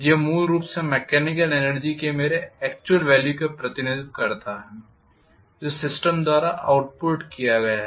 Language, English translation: Hindi, This is essentially represents whatever is my actual value of mechanical energy that that have been outputted by the system